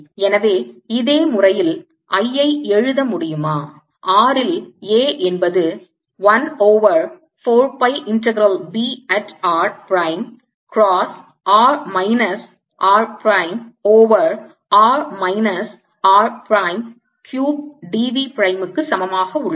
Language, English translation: Tamil, can i, in a similar manner therefore write: a at r is equal to one over four pi integral b at r prime cross r minus r prime over r minus r prime cube d b prime